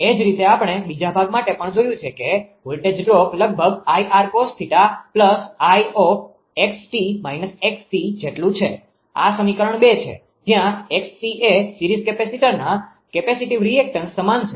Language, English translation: Gujarati, Similarly when for the other part we have also seen the voltage drop approximately is equal to I r cos theta plus I x l minus x c; this is equation 2 right; where x is equal to capacitive reactance of the series capacitor